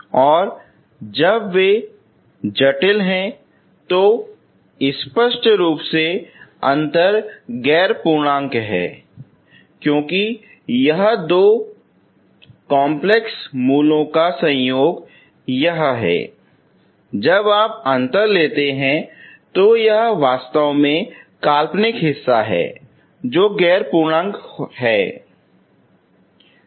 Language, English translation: Hindi, And when they are complex obviously the difference is non integer because it is when the two complex conjugate roots when you take the difference it is actually becomes imaginary part which is non integer, okay